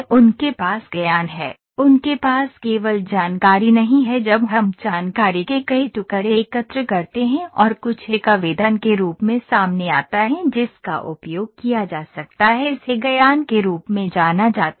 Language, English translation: Hindi, They have the knowledge, they do not have only information when we collect multiple pieces of information and something come out as an application that can be used it is known as knowledge